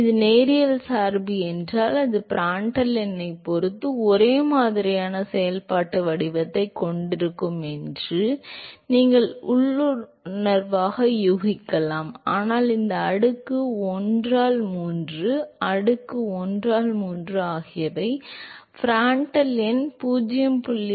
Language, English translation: Tamil, If it is linear dependence then you could intuitively guess that it, it is going to have similar functional form with respect to Prandtl number, but then this exponent 1 by 3, exponent 1 by 3 has been observed only when Prandtl number is greater than 0